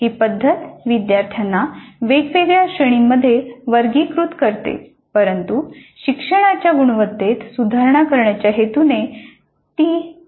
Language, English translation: Marathi, While this method classifies students into different categories, it does not provide any clue to plan for improvement of quality of learning